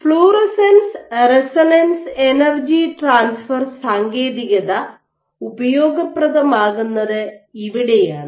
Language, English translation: Malayalam, This is where the technique of fluorescence resonance energy transfer is useful